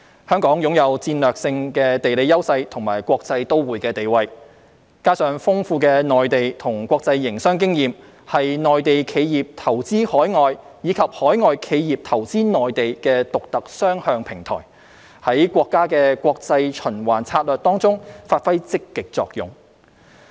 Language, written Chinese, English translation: Cantonese, 香港擁有戰略性地理優勢和國際都會地位，加上豐富的內地和國際營商經驗，是內地企業投資海外，以及海外企業投資內地的獨特雙向平台，在國家的國際循環策略中發揮積極作用。, With strategic geographical advantages and the status as a cosmopolitan city coupled with the ample experience in doing business with both the Mainland and overseas regions Hong Kong serves a unique two - way platform for Mainland enterprises to invest abroad and for overseas companies to invest in the Mainland playing an active role in our countrys international circulation development strategy